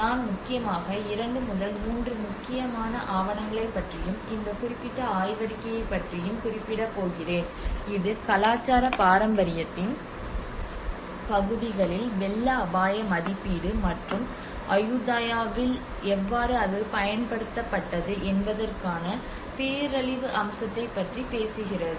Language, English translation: Tamil, I am going to refer about mainly two to three important documents and this particular paper Which talks about the disaster aspect of it where the flood risk assessment in the areas of cultural heritage and how it has been applied in the Ayutthaya